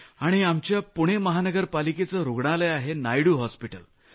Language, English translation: Marathi, And in Pune, there is a Muncipal Corporation Hospital, named Naidu Hospital